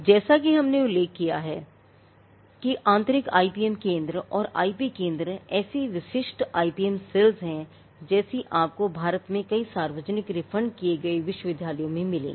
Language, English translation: Hindi, Now, the type of IPM centres or IP centres the internal one as we mentioned are the typical IPM cells that you will find in many public refunded universities in India